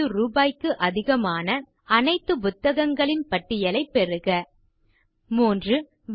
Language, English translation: Tamil, Get a list of all book titles which are priced more than Rs 150 3